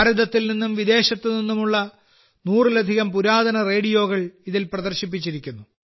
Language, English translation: Malayalam, More than a 100 antique radios from India and abroad are displayed here